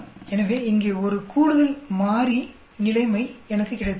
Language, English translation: Tamil, So I have got one more variable situation here